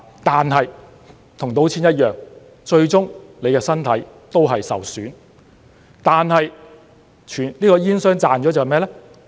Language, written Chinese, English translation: Cantonese, 但是，與賭錢一樣，最終你的身體也會受損，而煙商賺的是甚麼呢？, But it is similar to gambling . Your body will be harmed at the end and what will tobacco companies gain?